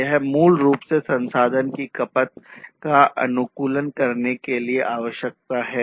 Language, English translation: Hindi, So, it is required basically to optimize the resource consumption, right